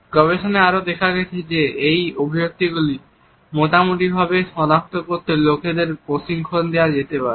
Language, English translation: Bengali, Research has also shown that people can be trained to identify these expressions relatively